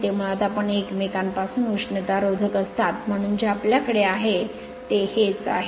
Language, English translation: Marathi, They are basically you are insulated from each other, so this is whatever you have